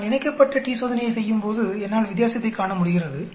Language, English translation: Tamil, When I do a paired t Test, I am able to see a difference